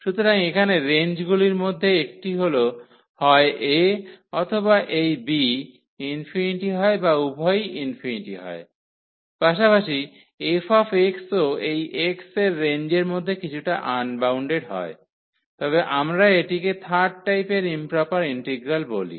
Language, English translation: Bengali, So, the range one of the range here either a or this b is infinity or both are infinity as well as the f x the integrand here is also unbounded at some point in the within the range of this x then we call that this is the third kind of improper integral